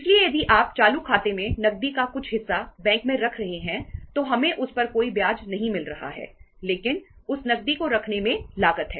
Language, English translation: Hindi, So if you are keeping some part of the cash in the bank in the current account we are not getting any interest on that but keeping that cash has a cost